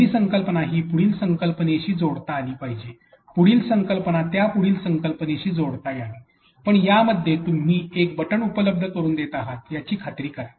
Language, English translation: Marathi, The first concept should be able connect the next concept, next concept to be able to connect the next concept, but in between the concepts make sure that you are putting a continue button